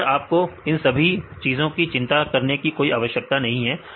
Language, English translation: Hindi, So, in this case you do not have to worry about all these things